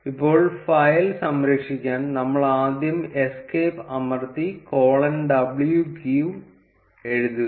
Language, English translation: Malayalam, Now to save the file, we first press escape and write colon w q